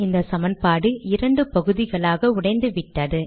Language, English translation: Tamil, And I have written this equation here